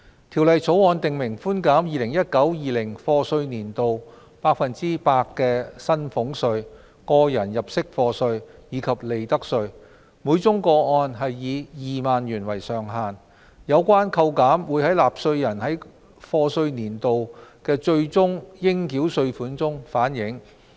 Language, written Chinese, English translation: Cantonese, 《條例草案》訂明寬減 2019-2020 課稅年度百分之百的薪俸稅、個人入息課稅，以及利得稅，每宗個案以2萬元為上限，有關扣減會在納稅人該課稅年度的最終應繳稅款中反映。, The Bill provides for reductions of salaries tax tax under personal assessment and profits tax for year of assessment 2019 - 2020 by 100 % subject to a ceiling of 20,000 per case . The reductions will be reflected in taxpayers final tax payable for the year of assessment concerned